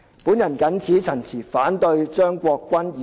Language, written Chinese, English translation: Cantonese, 我謹此陳辭，反對張國鈞議員的原議案。, With these remarks I oppose Mr CHEUNG Kwok - kwans original motion